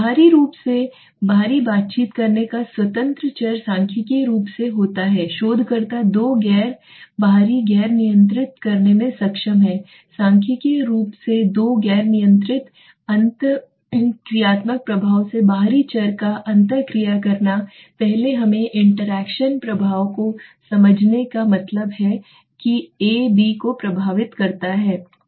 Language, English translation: Hindi, The independent variable right to non interacting external variables the statistically the researcher is able to control the two non external non controlling statistically controlling two non interacting external variables so the inter interaction effect what you mean by interaction effect first let us understand interaction effect means A effects B let us say